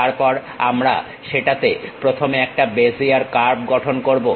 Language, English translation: Bengali, Then first, we will construct a Bezier curve in that